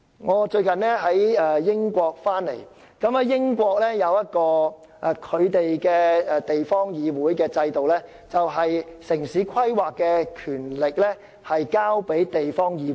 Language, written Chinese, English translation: Cantonese, 我最近從英國回港，英國制訂的地方議會制度是，城市規劃的權力交由地方議會。, I have recently visited the United Kingdom . Under its local council system the town planning authority is conferred on local councils